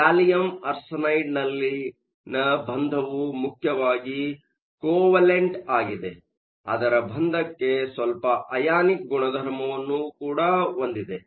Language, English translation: Kannada, The bonding in gallium arsenide is mainly covalent, but you also have some ionic character to the bond